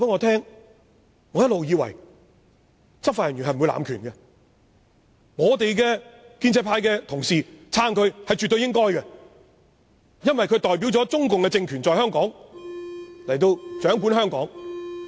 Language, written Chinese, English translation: Cantonese, 他一直以為執法人員不會濫權，而建制派絕對應該支持警察，因為他們代表中共政權掌管香港。, He used to think that law enforcement officers would not abuse power and that the pro - establishment camp should absolutely support the Police because they are administering Hong Kong on behalf of the Chinese communist regime